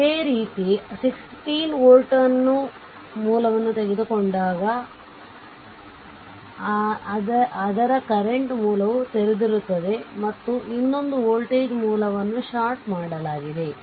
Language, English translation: Kannada, Similarly, when I mean when this 16 volt source is taken, but current source is open and when another voltage source is shorted